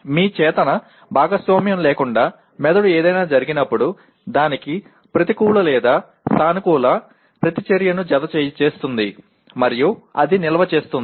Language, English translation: Telugu, That means when something happens the brain without your conscious participation will attach a negative or a positive reaction to that and it stores that